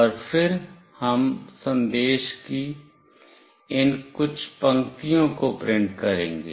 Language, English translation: Hindi, And then we will print these few lines of message